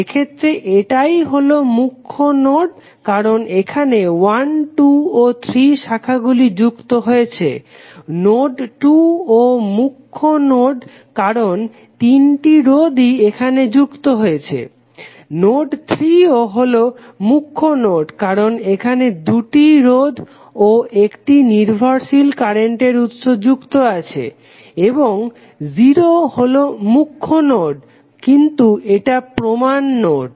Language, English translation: Bengali, In this case this would be principal node because here 1, 2 and 3 branches are joining, 2 is also principal node because all three resistances are connected here, node 3 is also principal node because two resistances and 1 dependent current source is connected and 0 is anyway principal node but this is reference node